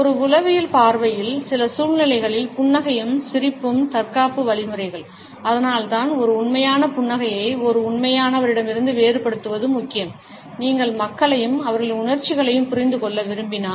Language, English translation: Tamil, From a psychological point of view, in some situations smile and laughter are defensive mechanisms, it is why distinguishing a fake smile from a genuine one is important if you want to understand people and their emotions